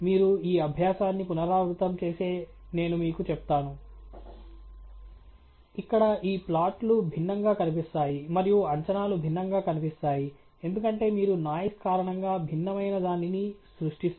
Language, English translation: Telugu, I can tell you, if you were to repeat this exercise, these plots here will look different and the estimates will look different, because you will generate a different realization of noise